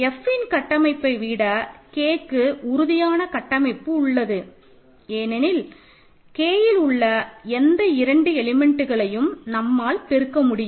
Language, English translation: Tamil, In fact, it has a lot more structure than a vector space over F structure because you can multiply any two elements of K